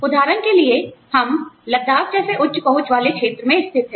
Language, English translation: Hindi, For example, we are based in, say, a high reach area like, Ladakh